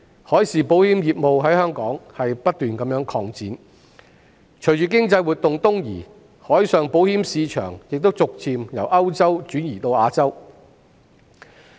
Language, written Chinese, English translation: Cantonese, 海事保險業務在香港不斷擴展，隨着經濟活動東移，海上保險市場亦逐漸由歐洲轉移至亞洲。, The marine insurance business continued to expand in Hong Kong . With the eastward movement of economic activities the marine insurance market has gradually shifted from Europe to Asia